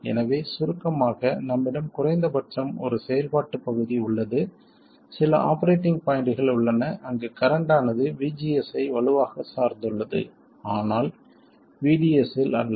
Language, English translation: Tamil, So, in summary, we have at least one region of operation, some set of operating points where the current is strongly dependent on VCS but not on VDS